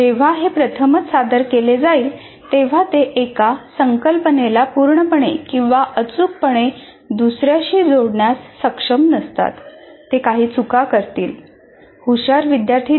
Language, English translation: Marathi, When it is first time presented, they will not be able to fully or accurately connect one to the other